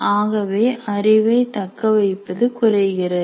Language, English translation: Tamil, So there will be poor retention of the knowledge